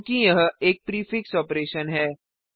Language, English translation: Hindi, As it is a prefix operation